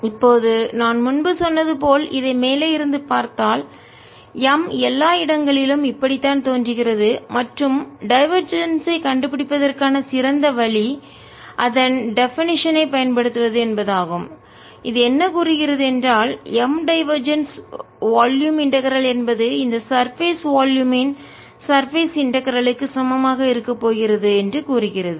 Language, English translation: Tamil, now, if i look at it from the top, as i said earlier, this is how m looks all over the place and best way to find divergence is using its definition, which says that divergence of m integrated over a volume is going to be equal to the surface integral over the surface of this volume